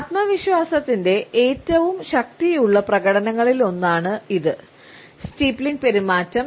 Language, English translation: Malayalam, One of the displays of confidence that we have the most powerful one is this, is the steepling behavior